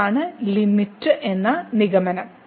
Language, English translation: Malayalam, So, what is the limit